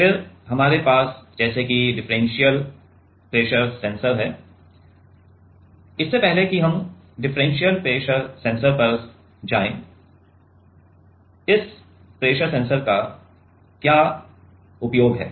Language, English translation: Hindi, Then we have like differential pressure sensor, before we go to differential pressure sensor; what is the application of this pressure